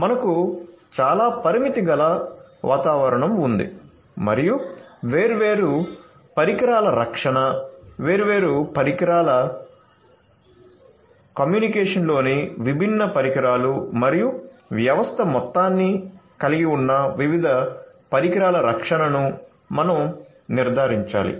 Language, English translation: Telugu, So, we have a highly constrained kind of environment and we have to ensure the protection of the different devices, the different devices in isolation, the different devices in communication and the different devices that comprise the system as a whole